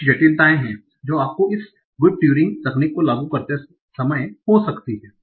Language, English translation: Hindi, Now there are certain complications that you might have when you're applying this good Turing estimate